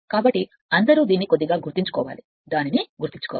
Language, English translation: Telugu, So, all you have to keep it mind little bit you have to keep it in mind